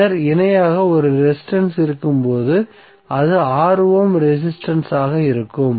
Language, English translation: Tamil, And then there will be a resistance in parallel that will be 6 ohm resistance